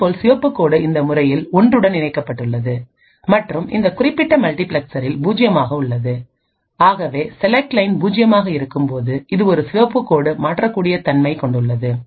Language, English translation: Tamil, Similarly the red line is connected to 1 in this case and 0 in this particular multiplexer and therefore when the select line is 0, it is a red line that can switch